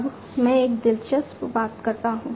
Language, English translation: Hindi, Now, let me talk about an interesting thing